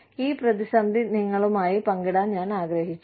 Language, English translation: Malayalam, Now, i wanted to share this dilemma, with you